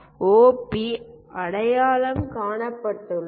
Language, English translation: Tamil, OP is identified